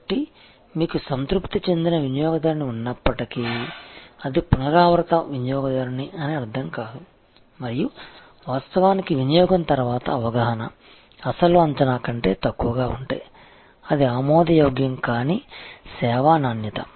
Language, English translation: Telugu, So, even though, you have a satisfied customer, it will not mean a repeat customer and of course, if the perception after the consumption is less than the original expectation, then it is unacceptable service quality